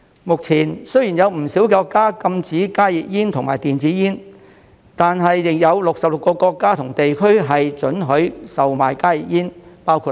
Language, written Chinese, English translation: Cantonese, 目前，雖然有不少國家禁止加熱煙和電子煙，但仍有66個國家和地區准許售賣加熱煙，包括內地。, At present although HTPs and e - cigarettes are banned in many countries the sale of HTPs is still allowed in 66 countries and regions including the Mainland